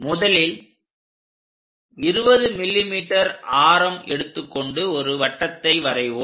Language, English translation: Tamil, The first step is 20 mm radius drawing a circle